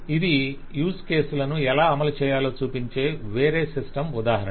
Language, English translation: Telugu, So this is just another example of a different system showing how use cases can be done